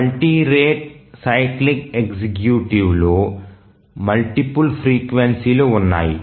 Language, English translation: Telugu, On a multi rate cyclic executing, as the name says that there are multiple frequencies